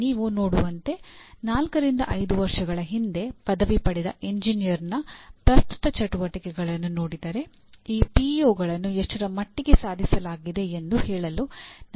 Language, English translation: Kannada, As you can see, looking at the present activities of an engineer who graduated four to five years earlier we will be able to say to what extent these PEOs are attained